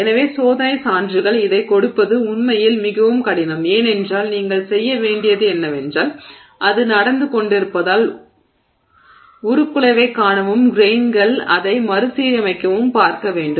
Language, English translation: Tamil, So, experimental evidence is actually very hard to give for this because you have to do, you would like to see the deformation as it is happening and watch the grains rearrange themselves